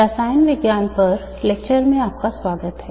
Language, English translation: Hindi, Welcome to the lectures on chemistry